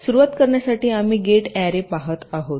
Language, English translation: Marathi, to start be, we shall be looking at gate arrays